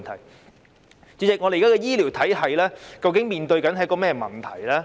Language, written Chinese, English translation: Cantonese, 代理主席，香港現時的醫療體系究竟面對甚麼問題？, Deputy President what exactly is the problem now faced by the healthcare system in Hong Kong?